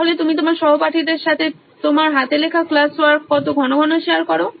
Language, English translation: Bengali, So how frequently do you share your handwritten class work with your classmates